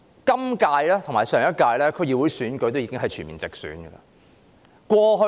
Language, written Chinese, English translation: Cantonese, 本屆和上屆區議會選舉已經全面直選。, The DC elections of the current term and the last one were full direct elections